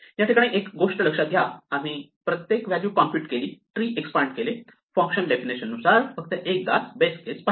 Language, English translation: Marathi, Notice therefore, that every value we computed, we expanded the tree or even looked up the base case only once according to the function definition